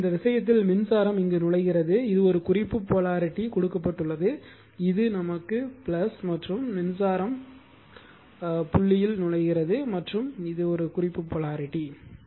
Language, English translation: Tamil, So, in this case current is entering in their what you call this is a reference polarity is given that is your plus right and current entering into the your dot right and this is the reference polarity